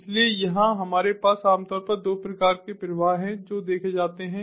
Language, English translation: Hindi, so here we have typically two types of flows that are observed